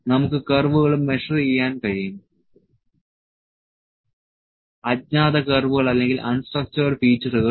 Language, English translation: Malayalam, We can also measure the curves, the unknown curves or the unstructured features